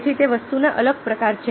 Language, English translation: Gujarati, so that's the different kind of thing